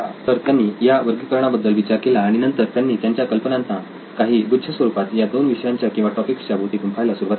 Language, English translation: Marathi, So they thought of this classification and then started clustering their ideas around these two topics, sub topics so to speak